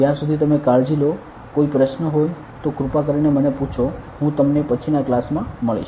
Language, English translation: Gujarati, Till then you take care to have any question please ask me I will see you in the next class bye